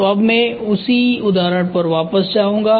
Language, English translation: Hindi, So, I will go back to the same example